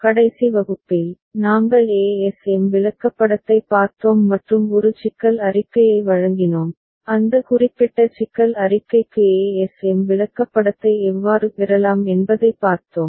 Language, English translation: Tamil, In the last class, we looked at ASM chart and given a problem statement, we have seen how we can get ASM chart for that particular problem statement